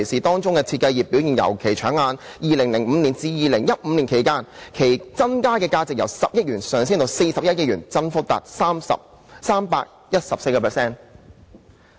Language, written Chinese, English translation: Cantonese, 當中設計業的表現尤其搶眼 ，2005 年至2015年期間，其增加價值由10億元上升至41億元，增幅達 314%。, Within this industry the performance of the design industry was particularly spectacular . From 2005 to 2015 its value grew from 1 billion to 4.1 billion recording an increase of 314 %